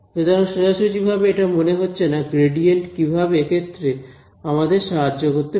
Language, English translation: Bengali, So, it does not seem very straightforward how gradient is going to help me in this